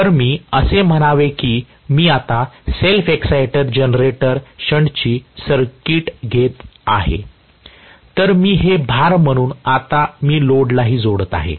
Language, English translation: Marathi, So, let say I am taking up the circuit of a self excited generator shunt and I am going to take this as the load